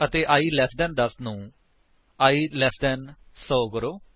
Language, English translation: Punjabi, And i less than 10 to i less than 100